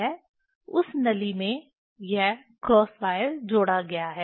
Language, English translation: Hindi, In that tube this cross wire is fixed